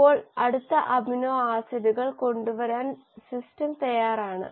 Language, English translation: Malayalam, Now, the system is ready to bring in the next amino acids